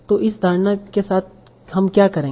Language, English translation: Hindi, So what do I mean by that